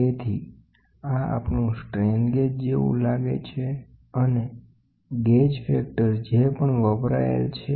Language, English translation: Gujarati, So, this is our strain gauge looks like and the gauge factor whatever we have used